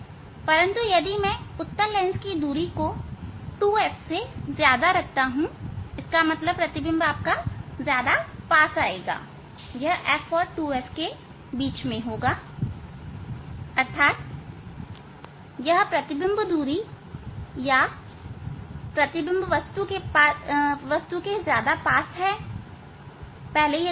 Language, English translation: Hindi, But if I keep; if I keep the distance of the convex lens more than 2 f; that means, that image will come closer it will come between f and 2 f so; that means, now this image distance it is image it is a closer it is closer to the object earlier it was away